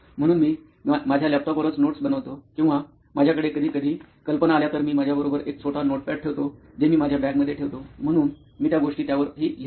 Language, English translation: Marathi, So I make notes on my laptop itself or if I have any ideas which come any times, so I you a short notepad with me which I carry in my bag, so I do write those things